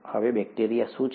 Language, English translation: Gujarati, Now what is bacteria